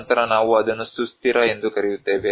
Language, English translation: Kannada, Then, we call it as sustainable